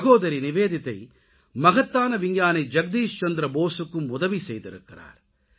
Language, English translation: Tamil, Bhagini Nivedita ji also helped the great scientist Jagdish Chandra Basu